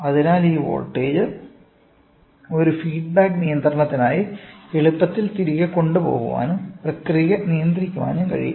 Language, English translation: Malayalam, So, this voltage can be easily taken back for a feedback control and the process can be controlled